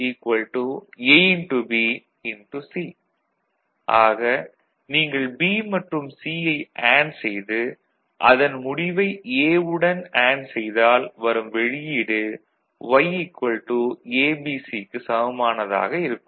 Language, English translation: Tamil, So, if you group BC if you AND them together all right, and then AND with A the output remain same as that of Y is equal to ABC